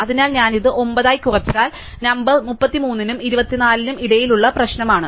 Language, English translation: Malayalam, So, if I bring it down to 9, the number is the problem between 33 and 24